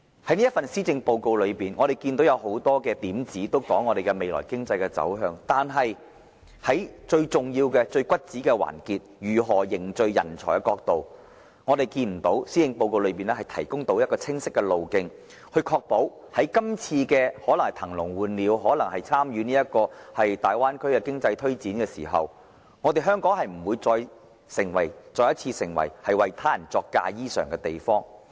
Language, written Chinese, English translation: Cantonese, 這份施政報告中很多點子提及香港未來的經濟走向，但對於最重要的問題，即如何匯聚人才，施政報告未能提供清晰的路徑，確保在"騰籠換鳥"、參與大灣區的經濟推展時，香港不會再次成為為他人作嫁衣裳的地方。, This Policy Address proposes many initiatives on the future directions of Hong Kongs economic development . Nevertheless on the most important issue ie . the pooling of talents the Policy Address has failed to provide a clear roadmap as to how the Government can ensure that Hong Kong will not once again sew a wedding - gown for another bride to wear when it seeks to empty the cage for new birds and participate in the promotion of economic development in the Bay Area